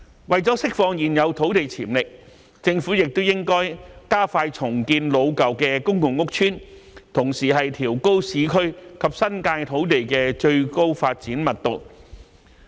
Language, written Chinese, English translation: Cantonese, 為了釋放現有土地潛力，政府也應加快重建老舊公共屋邨，同時調高市區及新界土地的最高發展密度。, To unleash the potential of existing land the Government should also expedite the redevelopment of old public housing estates while raising the highest development density of land in the urban areas and the New Territories